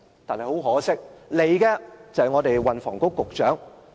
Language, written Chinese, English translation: Cantonese, 但很可惜，前來立法會的卻是運房局局長。, But unfortunately he who comes to the Council is the Secretary for Transport and Housing